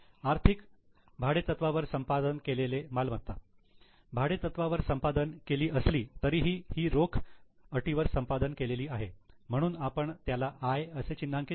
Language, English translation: Marathi, Acquisition of property by means of financial lease acquisition is being made by lease but still it is an acquisition in cash terms so we will mark it as I